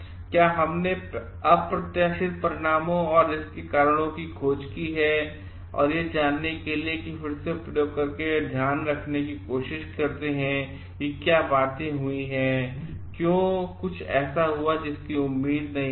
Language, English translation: Hindi, Have we explored for the unexpected results and the reasons for it and try to take care of it by again doing experiments to find out why this thing happened, why something happened which was not expected